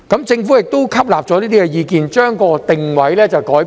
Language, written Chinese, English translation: Cantonese, 政府亦吸納了這些意見，將其定位改變了。, The Government has taken on board these views and changed the positioning of OP